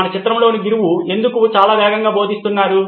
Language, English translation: Telugu, Why is the teacher in our picture going very fast